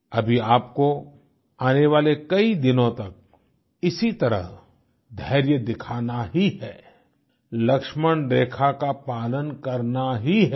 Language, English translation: Hindi, For the next many days, you have to continue displaying this patience; abide by the Lakshman Rekha